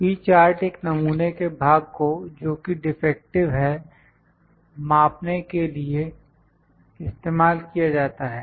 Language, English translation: Hindi, P charts are used to measure the proportion that is defective in a sample